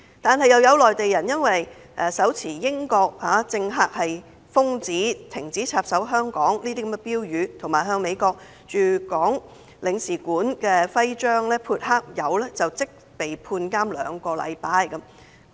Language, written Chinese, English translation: Cantonese, 然而，有內地人士因為手持"英國政客是瘋子，停止插手香港"等標語，以及向美國駐港領事館的徽章潑黑色漆油，便即被判監兩個星期。, In contrast a Mainlander was sentenced to two - week imprisonment for holding a placard with the slogan stating to the effect that British politician are nuts stop interfering in Hong Kong matters and spraying black paint on the emblem of the Consulate General of the United States in Hong Kong